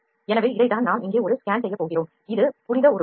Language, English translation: Tamil, So, this is the object that we are gone a scan here, this is the holy figure